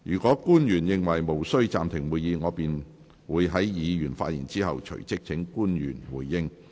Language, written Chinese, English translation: Cantonese, 若官員認為無需暫停會議，我便會在議員發言後，隨即請官員回應。, If public officers consider the suspension of meeting not necessary I will invite them to respond right after Members have spoken